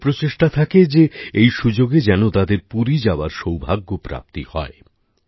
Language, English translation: Bengali, People make efforts to ensure that on this occasion they get the good fortune of going to Puri